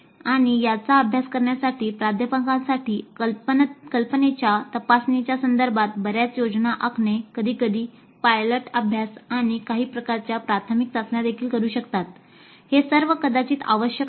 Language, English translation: Marathi, And for faculty to judge this, a lot of planning upfront with respect to examining the idea, maybe sometimes even a pilot study and some kind of a preliminary test, they all may be essential